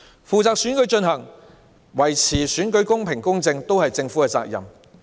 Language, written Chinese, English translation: Cantonese, 舉行選舉及維持選舉公平、公正，都是政府的責任。, It is the responsibility of the Government to hold elections and ensure that the election is fair and just